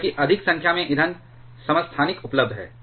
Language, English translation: Hindi, Because there are more number of fuel isotopes are available